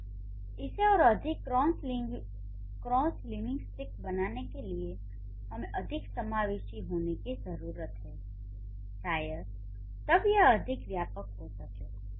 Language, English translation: Hindi, So, to make it more cross linguistic, we need to be more inclusive, we need to be more broad